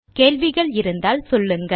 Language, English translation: Tamil, If you have any questions, please let me know